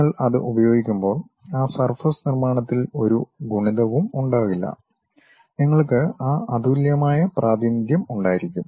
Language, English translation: Malayalam, When you are using that, there will not be any multiplicities involved in that surface construction, you will be having that unique representation